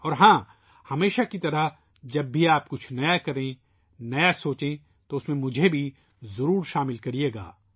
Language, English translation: Urdu, And yes, as always, whenever you do something new, think new, then definitely include me in that